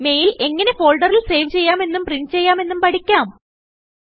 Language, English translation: Malayalam, Let us now learn how to save a mail to a folder and then print it